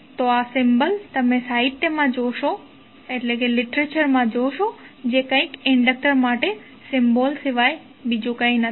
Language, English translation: Gujarati, So the symbol you will see in the literature like this, which is nothing but the symbol for inductor